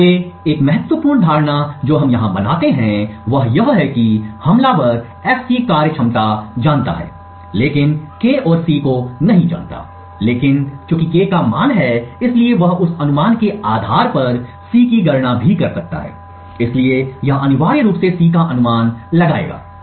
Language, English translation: Hindi, So an important assumption that we make over here is that the attacker knows the functionality of F but does not know K nor C, but since has guessed the value of K he can also compute C based on that guess, so this would be essentially guessed value of C